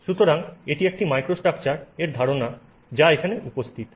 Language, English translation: Bengali, So, this is the idea of a microstructure, right